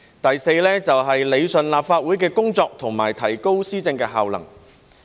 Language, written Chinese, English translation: Cantonese, 第四，是理順立法會的工作和提高施政效能。, Fourthly it rationalizes the work of the Legislative Council and enhances the efficacy of governance